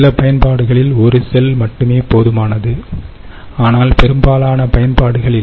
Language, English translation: Tamil, some applications, just one cell is good enough, but in most applications its not